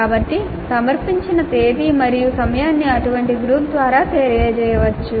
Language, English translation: Telugu, So date and time of submission can be communicated through such a group